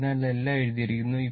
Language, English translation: Malayalam, So, everything is written the